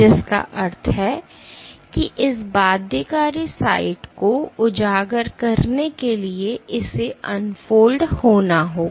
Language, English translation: Hindi, Which means that for this binding site to be exposed it must unfold